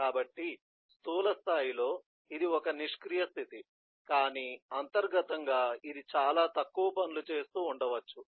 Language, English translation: Telugu, so at a macroscopic level this is a idle state, but internally it may be doing quite a few things